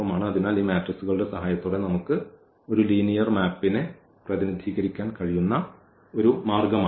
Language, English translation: Malayalam, So, this is one way where we can, where we can represent a linear map with the help of this matrices